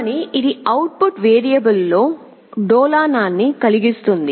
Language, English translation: Telugu, But it can cause oscillation in the output variable